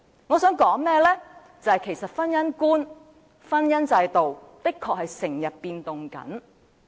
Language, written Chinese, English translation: Cantonese, 我想說的是，其實婚姻觀及婚姻制度的確在不斷改變。, What I would like to say is that actually the perceptions of marriage and the marriage institution are indeed changing all the time